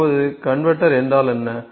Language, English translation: Tamil, Now what is convertor